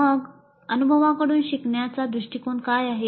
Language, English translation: Marathi, What then is experiential approach to instruction